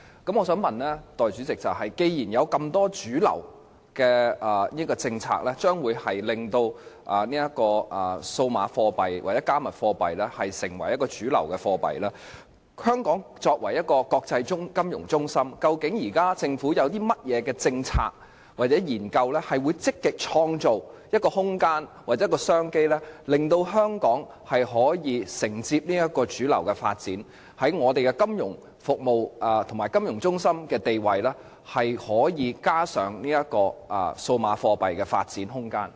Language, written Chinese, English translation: Cantonese, 代理主席，既然有這麼多主流的政策將會令數碼貨幣或"加密貨幣"成為一種主流貨幣，那麼，香港作為一個國際金融中心，究竟政府現時有甚麼政策或研究，能積極創造空間或商機，令香港可以承接這個主流的發展，在我們的金融服務及金融中心的地位，可以加上數碼貨幣的發展空間？, Deputy President since there are so many mainstream policies which will make digital currencies or cryptocurrencies a kind of mainstream currencies and Hong Kong is an international financial centre has the Government formulated any proactive polices or conducted any studies on creating some room or commercial opportunities with which Hong Kong can dovetail with this mainstream development and give a place of development to digital currencies in this financial centre of ours?